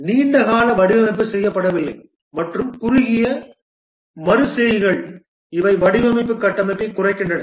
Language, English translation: Tamil, Long term design is not made and the short iterations, these degrade the design structure